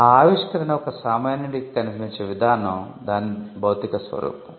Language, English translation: Telugu, So, the way the invention looks to a layman or a layperson is the physical embodiment